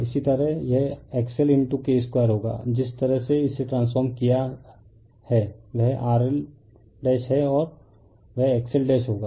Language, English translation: Hindi, Similarly, it will be X L into K square the way you have transformed this, that is you R L dash and that will your X L dash